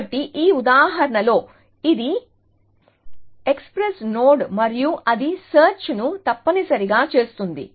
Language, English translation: Telugu, So, in this example, this is an express node and then it does the search essentially